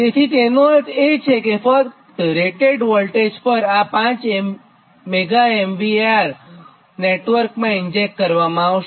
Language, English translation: Gujarati, that only at rated voltage this five megavar will be injected into the network